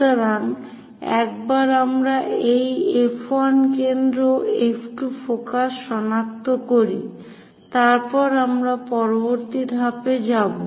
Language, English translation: Bengali, So, once we locate this F 1 foci, F 2 focus, then we will go with the next step